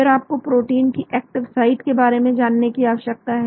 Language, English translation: Hindi, Then you need to know the active site of the protein